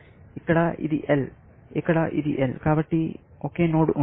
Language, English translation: Telugu, Here, it is L and so, there is only one node